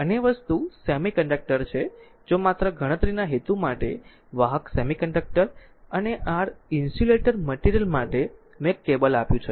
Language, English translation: Gujarati, Other thing are semiconductor if just for computational purpose that conductor semiconductor and your insulator material just I given a table